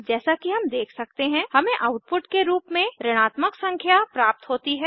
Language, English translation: Hindi, As we can see, we get the output as negative number